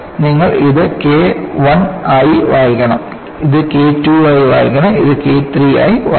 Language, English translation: Malayalam, You have to read this as K I, read this as K II and read this as K III